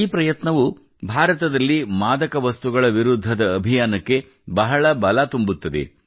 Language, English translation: Kannada, These efforts lend a lot of strength to the campaign against drugs in India